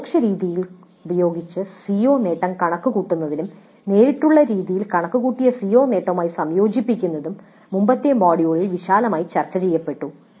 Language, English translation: Malayalam, So computing the CO attainment using indirect method and combining it with the CO attainment computed using direct methods